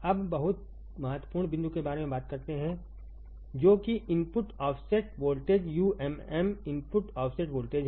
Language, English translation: Hindi, Now, let us talk about very important point which is the input offset voltage umm input offset voltage